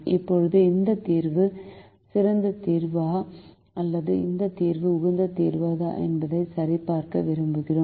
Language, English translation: Tamil, now we want to check whether this solution is the best solution or whether this solution is the optimum solution